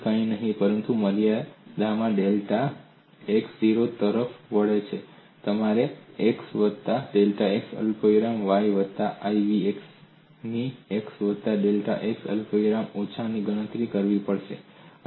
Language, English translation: Gujarati, You have to calculate u of x plus delta x comma y plus iv of x plus delta x comma y, minus u of x comma y plus iv of x comma y divided by delta x